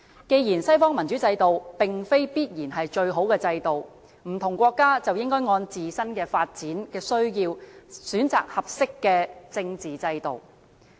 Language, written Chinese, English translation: Cantonese, 既然西方民主制度並非必然是最好的制度，不同國家便應該按自身的發展需要，選擇合適的政治制度。, Given that western democratic systems are not necessarily the best system different countries should choose a political system that suits their own development needs